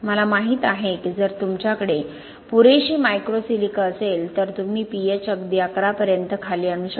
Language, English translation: Marathi, I know that if you had enough micro silica you can drop the p H down to even 11